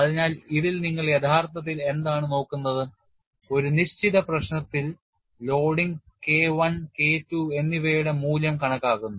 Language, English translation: Malayalam, So, in this, what you are actually looking at in a given problem for the type of loading estimate the value of K1 and K2